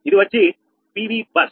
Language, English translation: Telugu, right now, pv bus